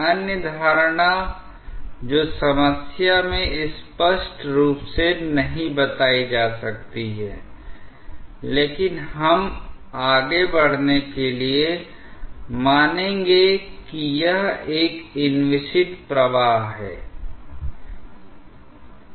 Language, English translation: Hindi, The other assumption that may not be stated explicitly in the problem, but we will assume to go ahead is that it is an inviscid flow